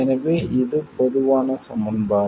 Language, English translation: Tamil, So, this is the great simplification